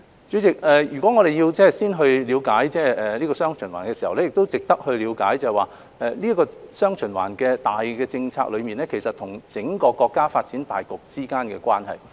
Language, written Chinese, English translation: Cantonese, 主席，我們要了解"雙循環"，就值得了解"雙循環"這項大政策與整個國家發展大局之間的關係。, President in order to have a good understanding of dual circulation we should look into the relationship between this general policy of dual circulation and the overall development of the country